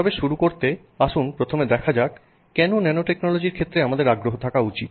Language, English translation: Bengali, But to begin with let's first understand why we should have any interest in the field of nanotechnology